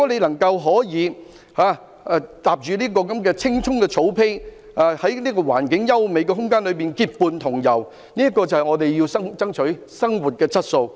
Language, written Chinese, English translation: Cantonese, 能夠踏上青蔥的草地，在環境優美的空間結伴同遊，這是我們要爭取的生活質素。, A walk on the green pasture with good companions in the enjoyment of beautiful scenery is the kind of quality life we should strive for